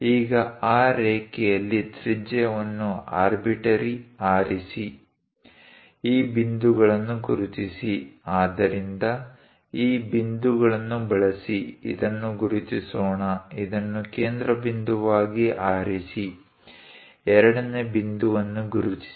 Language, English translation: Kannada, Now on that line, pick radius an arbitrary one; mark these points, so use this point; let us mark this one, pick this one as centre; mark second point